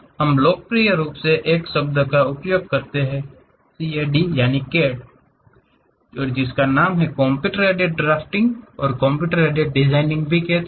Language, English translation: Hindi, We popularly use a word name CAD: Computer Aided Drafting and also Computer Aided Designing